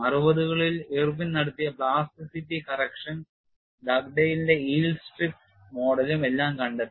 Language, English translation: Malayalam, Around sixty's, you find the plasticity correction by Irwin as well as Dug dale's yield strip model all of them came